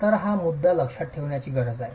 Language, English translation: Marathi, So, this is a point you need to keep in mind